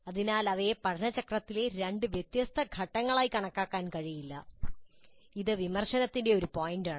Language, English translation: Malayalam, So, they cannot be really considered as two distinct separate stages in the learning cycle